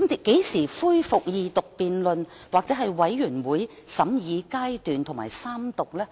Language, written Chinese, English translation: Cantonese, 何時恢復二讀辯論、全體委員會審議階段及三讀呢？, When would the resumption of Second Reading debate committee stage and Third Reading take place?